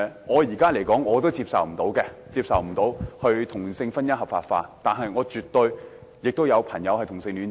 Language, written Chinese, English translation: Cantonese, 我目前無法接受同性婚姻合法化，但我身邊也有朋友是同性戀者。, At present I cannot accept the legalization of same - sex marriage but I do have friends who are homosexual